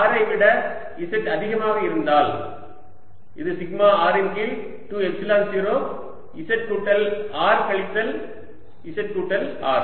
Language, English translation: Tamil, this answer is: v z is equal to sigma r over two, epsilon zero z plus r minus modulus z minus r